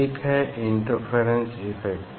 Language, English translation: Hindi, one of them is the interference, interference effect we see